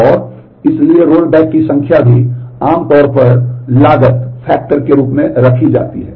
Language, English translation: Hindi, And so the number of roll backs is also usually kept as a cost factor